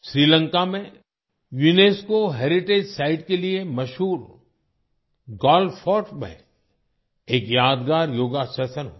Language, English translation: Hindi, A memorable Yoga Session was also held at Galle Fort, famous for its UNESCO heritage site in Sri Lanka